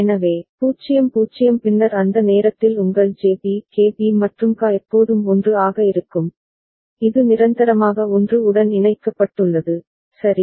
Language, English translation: Tamil, So, 0 0 then at that time your JB KB and KA is always 1, this is permanently connected to 1, all right